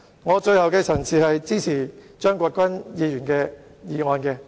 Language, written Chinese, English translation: Cantonese, 我謹此陳辭，支持張國鈞議員的議案。, With these remarks I support Mr CHEUNG Kwok - kwans motion